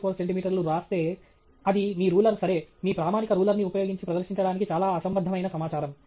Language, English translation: Telugu, 967134 centimeters, then that’s a very absurd piece of information to present using a ruler okay, your standard ruler